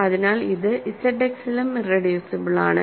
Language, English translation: Malayalam, So, f X is also irreducible